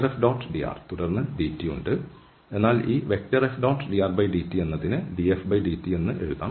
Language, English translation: Malayalam, So, we have here F dot dr and then dt, but this F dot dr dt can be written as df over dt